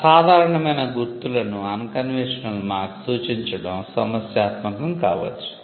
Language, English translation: Telugu, Representation of unconventional marks can be problematic